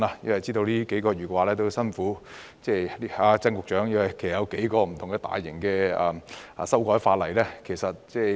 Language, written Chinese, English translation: Cantonese, 我知道他這數個月很辛苦，因為同時有數項大型的修例工作正在進行。, I know that he has been having some very hard times working over these months because a number of large - scale legislative amendment exercises are underway concurrently